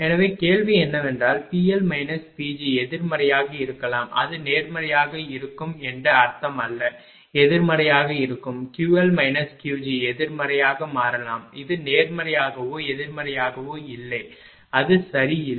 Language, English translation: Tamil, So, this is that your resultant right So, question is that P L minus P g may be negative does not matter, it does not mean that it will be positive it will be negative, Q L minus Q g also it may become negative it does not matter positive or negative this one also positive or negative it does not matter right